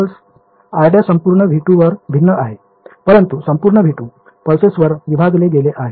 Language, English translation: Marathi, r prime is varying over the entire v 2, but entire v 2, were split up into pulses